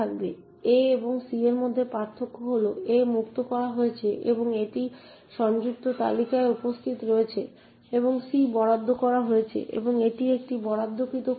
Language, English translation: Bengali, The difference between a and c is that a is freed and it is present in the linked list and c is allocated and it is an allocated chunk